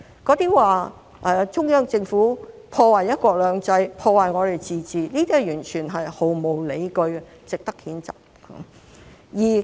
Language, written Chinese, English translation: Cantonese, 說中央政府破壞"一國兩制"、破壞香港的自治，這些完全是毫無理據，值得譴責。, To say that the Central Government has undermined one country two systems and Hong Kongs autonomy is totally unjustified and deserves condemnation